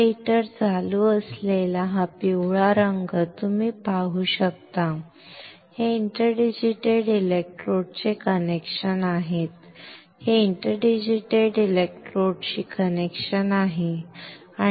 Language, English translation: Marathi, You can see this yellow color this one right this heater is on, these are connection to the interdigitated electrodes this is connection to the interdigitated electrodes